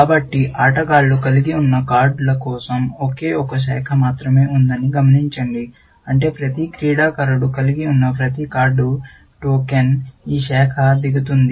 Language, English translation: Telugu, So, notice that there is only one branch going down for the cards being held by players, which means that every card that every player holds, a token will go down this branch